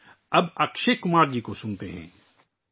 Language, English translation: Urdu, Come, now let's listen to Akshay Kumar ji